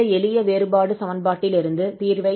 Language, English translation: Tamil, So we will get this solution out of this simple differential equation